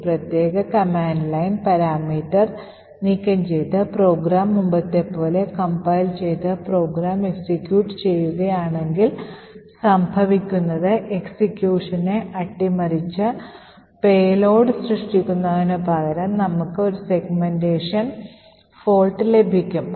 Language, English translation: Malayalam, So, if I remove this particular command line parameter, compile the program as before and execute the program, what happens is that instead of subverting execution and creating the payload we get a segmentation fault